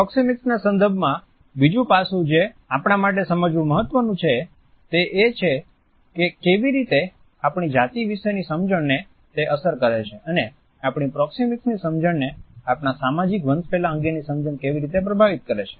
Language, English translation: Gujarati, Another aspect which is significant for us to understand in the context of proxemics is how it is affected by our understanding of gender and at the same time how does our understanding of social hierarchy influences our understanding of proximity